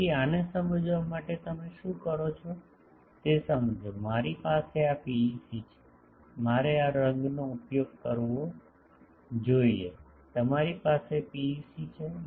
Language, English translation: Gujarati, So, what you do to understand these understand that; I have this PEC sorry, I should have used this colour you have a PEC